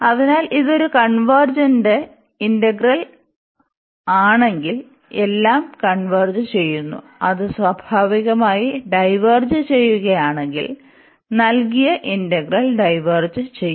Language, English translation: Malayalam, So, if it is a convergent integral, then everything will converge; if it diverges naturally, the given integral will diverge